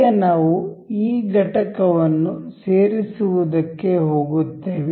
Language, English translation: Kannada, Now, we will go to this insert component